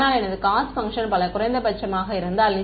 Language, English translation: Tamil, But if my cost function were multiple minima right